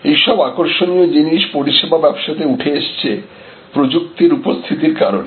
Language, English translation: Bengali, So, these are some interesting things that are emerging in the service business, because of technology availability